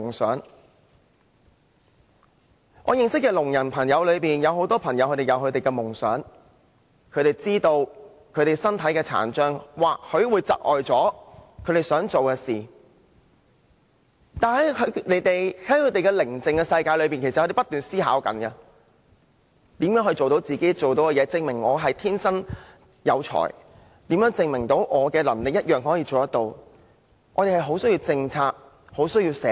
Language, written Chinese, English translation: Cantonese, 在我認識的聾人朋友中，許多都有自己的夢想，他們明白自己身體的殘障或許會窒礙他們達到夢想的努力，但其實他們在各自無聲的世界中不斷思考如何可以做到自己想做的事，以證明自己的才能，思考如何證明憑自己的能力同樣也可以有所作為。, Many deaf people I know have their dreams . They do realize that their physical disabilities may thwart their attempts to realize their dreams but in their own silent worlds they have nonetheless kept thinking about ways to achieve what they want to do so as to prove their abilities . They have kept thinking about ways to prove that they are also capable of achievements given their abilities